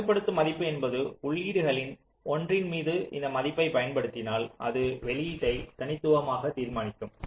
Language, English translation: Tamil, controlling value means if this value is applied on one of the inputs, it will uniquely determine the output